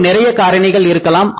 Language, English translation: Tamil, There can be different factors